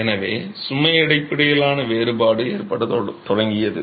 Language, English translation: Tamil, So, differentiation based on load started occurring